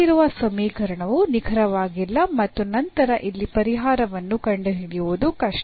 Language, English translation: Kannada, So, the given equation is not exact and then it is difficult to find the solution here